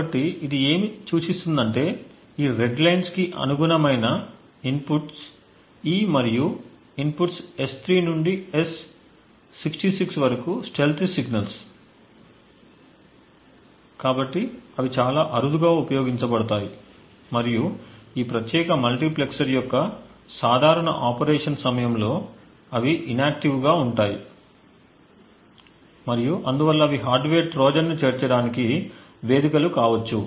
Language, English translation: Telugu, So what this indicates is that the inputs E and the inputs S3 to S66 corresponding to these red lines over here are stealthy signals, so they are rarely used and most likely they are inactive during the general operation of this particular multiplexer and therefore they could be potential venues where a hardware Trojan may be inserted